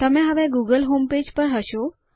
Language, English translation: Gujarati, You will now be in the google homepage